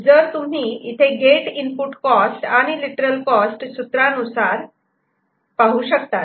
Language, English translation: Marathi, So, you can see what is the gate input cost by and literal cost by from this formula